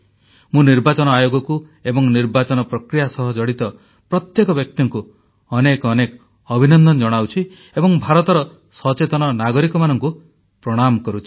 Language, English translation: Odia, I congratulate the Election Commission and every person connected with the electioneering process and salute the aware voters of India